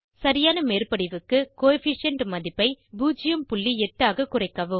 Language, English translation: Tamil, For proper overlap, decrease the Coefficient value to 0.8